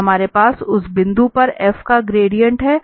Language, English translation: Hindi, So we have the gradient of f at that point